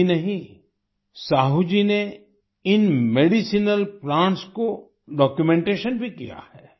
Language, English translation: Hindi, Not only this, Sahu ji has also carried out documentation of these medicinal plants